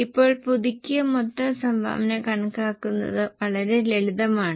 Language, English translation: Malayalam, Now, the revised total contribution is very simple to calculate